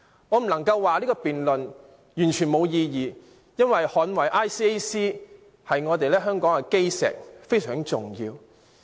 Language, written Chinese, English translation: Cantonese, 我不能說這項辯論完全沒有意義，因為捍衞 ICAC—— 我們香港的基石，是非常重要的。, I cannot say that the debate is meaningless because it is very important to defend ICAC―the cornerstone of our success